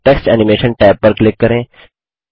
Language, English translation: Hindi, Click on the Text Animation tab